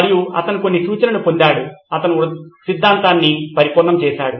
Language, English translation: Telugu, And he got a few suggestions, he perfected the theory